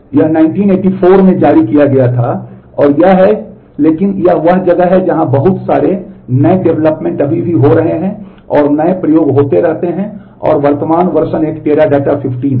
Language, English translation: Hindi, It was released in 1984 and it is, but it is it is one where lot of new developments are still happening and new experiments keep on happening and the current version is a Teradata 15